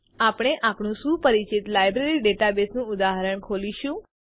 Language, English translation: Gujarati, We will open our familiar Library database example